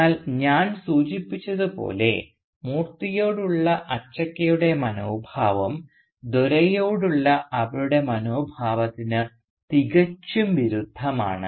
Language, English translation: Malayalam, But as I mentioned, Achakka’s attitude towards Moorthy is in sharp contrast to her attitude towards Dore